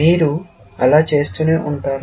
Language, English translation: Telugu, You will keep doing that